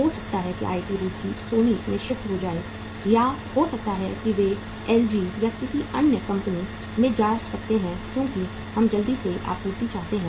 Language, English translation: Hindi, Maybe IIT Roorkee can shift to Sony or maybe they can go to LG or some other company because we quickly want the supply